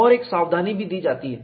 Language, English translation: Hindi, And, there is also a caution given